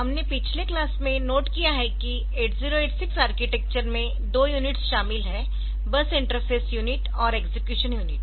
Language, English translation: Hindi, So, 8086 architecture, so it consists of two units as we have noted in the last class, there is a bus interface unit and there is an execution unit